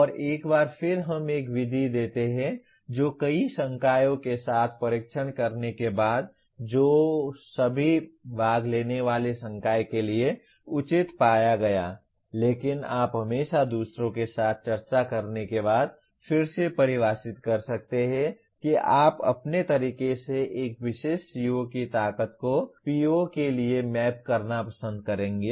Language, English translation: Hindi, And once again we give one method which after testing out with several faculty, which was found to be reasonable to all the participating faculty; but you can always redefine after discussing with others saying that you would prefer to map the strength of a particular CO to PO in your own way